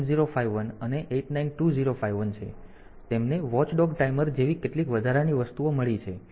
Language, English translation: Gujarati, So, they have got some additional things like watchdog timer